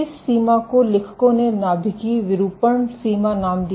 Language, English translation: Hindi, So, this limit the authors named as a nuclear deformation limit